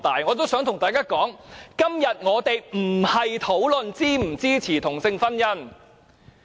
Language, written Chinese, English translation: Cantonese, 我想對大家說，我們今天不是討論是否支持同性婚姻。, I wish to tell Members that we are not here to discuss whether or not we support same - sex marriage